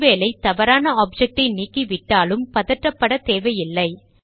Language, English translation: Tamil, In case a wrong object is deleted, no need to panic